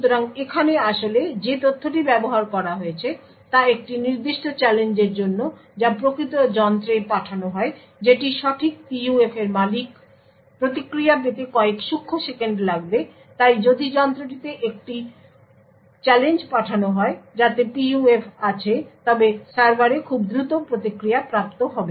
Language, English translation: Bengali, So the fact that is actually use over here is that is for a particular challenge that is sent to the actual device that owns the right PUF, obtaining the response will just take a few nanoseconds therefore, if a challenge is sent to the device which actually has the PUF the server would obtain the response very quickly